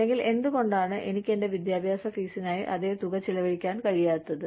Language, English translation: Malayalam, Or, why cannot I, spend the same amount of money, on my education fees